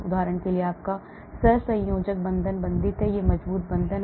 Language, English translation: Hindi, for example your covalent bond is bonded there is a strong bond